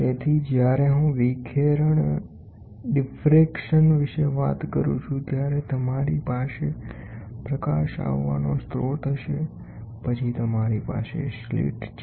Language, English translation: Gujarati, So, when I talk about diffraction, you will have a source of light coming then you have a slit